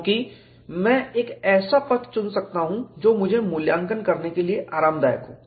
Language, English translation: Hindi, Because, I can choose the path, which is comfortable for me to evaluate